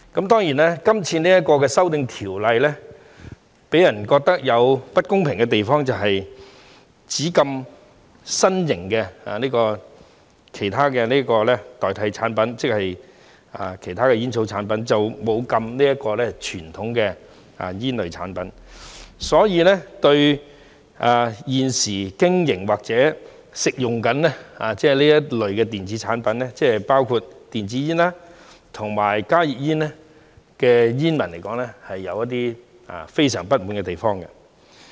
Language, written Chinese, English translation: Cantonese, 當然，今次這項修訂條例草案予人覺得有不公平的地方是，只禁止新型及其他代替煙草的產品，沒有禁止傳統煙類產品，所以，對於現時經營或正在吸食這類電子產品——包括電子煙和加熱煙——的人士及煙民來說，他們是有一些非常不滿的地方。, Of course people perceive this amendment bill as unfair since it only bans novel products and other products as a substitute for tobacco whereas conventional tobacco products are not banned . Therefore those who are currently operating business relating to or consuming such electronic products―including electronic cigarettes and heated tobacco products HTPs―have some strong grievances